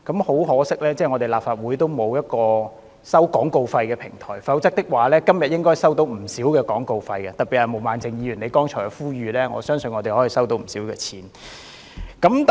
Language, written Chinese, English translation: Cantonese, 很可惜，立法會沒有一個收取廣告費的平台，否則今天應該可以進帳不少，特別是就毛孟靜議員剛才的呼籲，我相信立法會應可收取不少廣告費。, What a pity that the Legislative Council does not have a platform for charging advertising fees . Otherwise today it could have made a lot of money . In particular on Ms Claudia MOs appeal just now I believe the Legislative Council could have charged a considerable amount of advertising fees